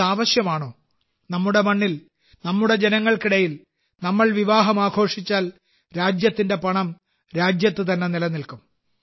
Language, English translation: Malayalam, If we celebrate the festivities of marriages on Indian soil, amid the people of India, the country's money will remain in the country